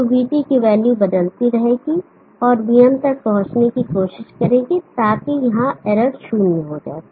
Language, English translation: Hindi, So the value of VT will keep changing and try to reach VM such that error here becomes zero